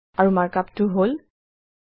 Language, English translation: Assamese, And the markup is: 2